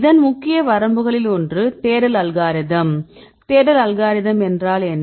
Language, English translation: Tamil, These are the major limitations one is the search algorithm right what is the search algorithm